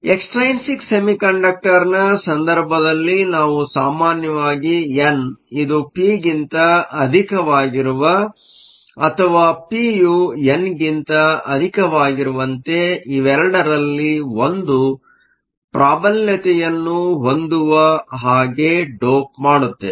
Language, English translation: Kannada, In the case of an extrinsic semiconductor, we usually dope such that either n is much greater than p or p is much greater than n either way only one of these terms will usually dominate